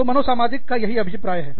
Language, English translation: Hindi, So, that is, what is meant by, psychosocial